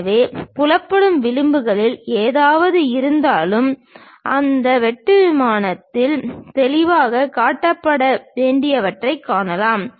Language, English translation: Tamil, So, whatever the visible edges we can really see those supposed to be clearly shown on that cutting plane